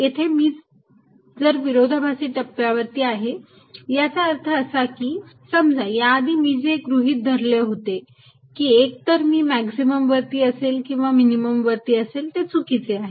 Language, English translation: Marathi, and if i am in a contradictory stage that means my initial assumption that either i am at maximum or minimum is wrong